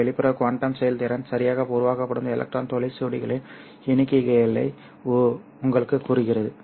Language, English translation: Tamil, This external quantum efficiency tells you the number of electron whole pairs that are generated because of absorbing the optical power